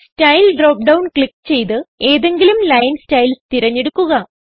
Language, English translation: Malayalam, Click on Style drop down and select any of the line styles shown